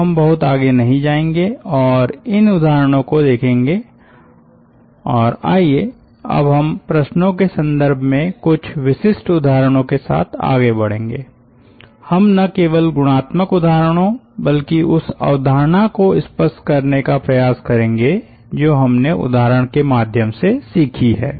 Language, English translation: Hindi, ah, looking into this examples, and ah, now let us move on to the some of the typical examples: ah in terms of problems, not just qualitative examples, but ah, where we try to illustrate the concept that we have learnt through example problems